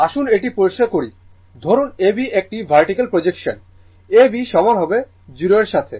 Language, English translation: Bengali, Let me let me clear it, say A B this is a vertical projection A B is equal to your O A